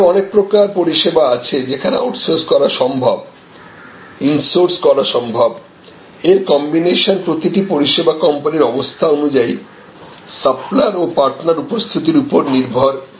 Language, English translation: Bengali, But, there are various other services, where it is possible to outsource it is possible to insource and a combination will be decided by each company each service company as the occasions demand and as kind of suppliers available partners available